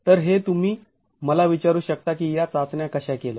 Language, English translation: Marathi, So this, you could ask me how were these tests carried out